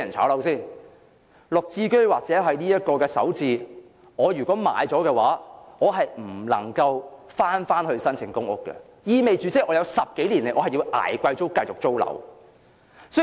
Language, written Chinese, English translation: Cantonese, 不論是"綠置居"或"首置"，現時如果市民買入單位，他便不能夠再申請公屋，意味着接下來10多年他也要繼續"捱貴租"租樓。, At present regardless of the Green Form Subsidised Home Ownership Scheme or the Starter Homes Scheme if they have purchased a home under these schemes they cannot return to apply for public housing and if anything happens they will have to suffer from expensive rent in the following 10 years or so in renting accommodation